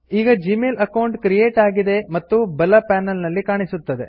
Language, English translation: Kannada, The Gmail account is created and is displayed on the right panel